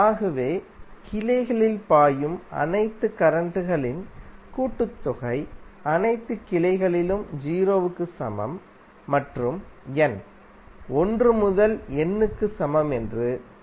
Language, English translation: Tamil, So KCL says that the summation of all the currents flowing in the branch, in all the branches is equal to 0 and the in that is the subscript for current is varying from n is equal to 1 to N